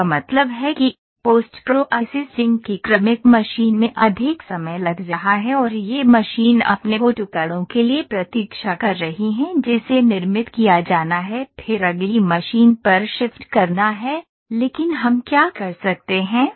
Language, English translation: Hindi, That means, the successive machine that is post processing is taking longer time and this machine is waiting for its on the pieces that is manufactured shift to the next machine, but what we can do